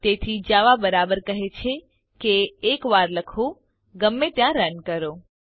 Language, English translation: Gujarati, Hence, java is rightly described as write once, run anywhere